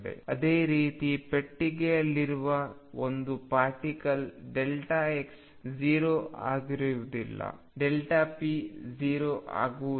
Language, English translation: Kannada, Similarly an particle in a box delta x is not going to be 0; delta p is not going to be 0